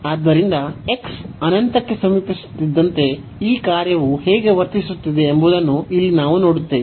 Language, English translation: Kannada, So, here we will see that how this function is behaving as x approaches to infinity